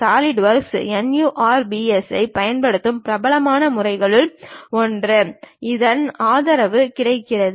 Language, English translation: Tamil, One of the popular method what Solidworks is using NURBS, this support is available